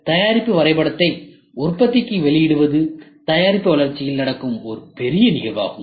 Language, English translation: Tamil, So, releasing of the product drawing to the manufacturing is a big event which happens in product development